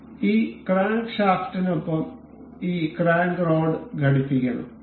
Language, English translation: Malayalam, So, this this crank rod is supposed to be attached with this crankshaft